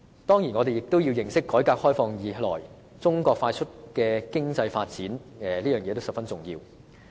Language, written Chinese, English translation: Cantonese, 當然，我們也要認識改革開放以來，中國快速的經濟發展，這是十分重要的。, Of course we must also take note of the rapid economic development of China since the start of its reform and opening up process . This is very important